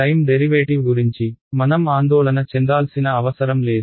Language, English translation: Telugu, I do not have to worry about time derivatives